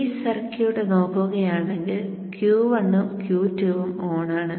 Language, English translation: Malayalam, Now whenever you operate both Q1 and Q2 are turned on together